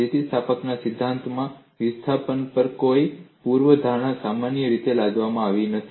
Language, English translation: Gujarati, In theory of elasticity, no prior assumption on displacement is usually imposed